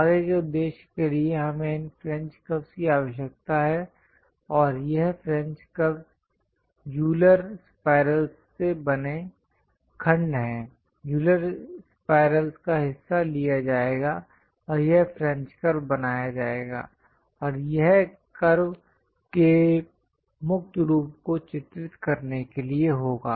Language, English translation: Hindi, Further purpose we require this French curves and this French curves are segments made from Euler spirals; part of the Euler spiral will be taken, and this French curve will be made and meant for drawing free form of curves